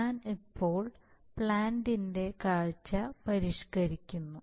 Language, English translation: Malayalam, I am now modifying the view of the plant so what happens is